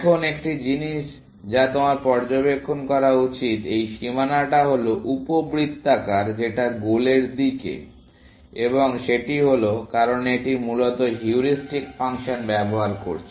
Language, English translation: Bengali, Now, one of the things that you should observe is, that is boundary is ellipse towards the goal and that is, because it is using the heuristic function, essentially